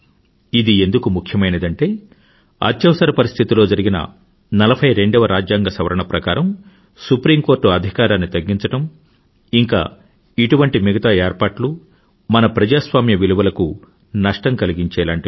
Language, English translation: Telugu, This was important because the 42nd amendment which was brought during the emergency, curtailed the powers of the Supreme Court and implemented provisions which stood to violate our democratic values, was struck down